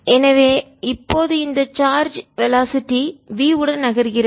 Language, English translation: Tamil, so this charge now is moving with speed b, with velocity v